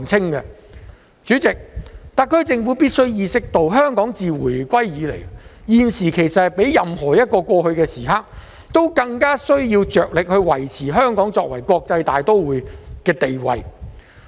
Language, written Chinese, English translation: Cantonese, 代理主席，特區政府必須意識到，香港自回歸以來，現時其實是較過去任何一刻更加需要着力維持香港作為國際大都會的地位。, Deputy President the SAR Government should be aware of the fact that now we have the biggest need to maintain Hong Kongs status as an international metropolis since Hong Kongs return to the Motherland